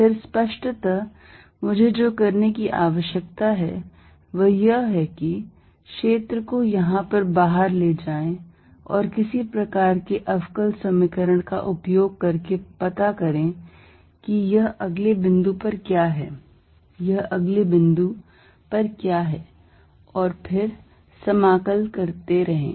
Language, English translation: Hindi, Then; obviously, what I need to do is, take the field out here and using some sort of a differential equation, find out what it is next point, what it is at next point and then keep integrating